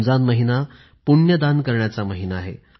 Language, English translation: Marathi, Ramzan is a month of charity, and sharing joy